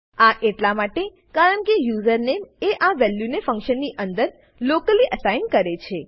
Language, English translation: Gujarati, This is because username is assigned this value locally, within the function